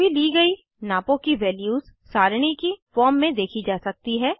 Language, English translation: Hindi, Values of all measurements made, can be viewed in a tabular form